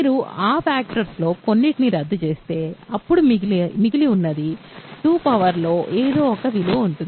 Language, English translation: Telugu, If you cancel some of those factors, you will remain; then what remains will be still of the form 2 power something